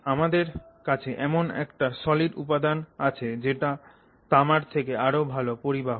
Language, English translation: Bengali, I mean so you have a material, a solid material that is conducting better than copper